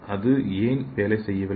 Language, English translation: Tamil, So why doesn’t it work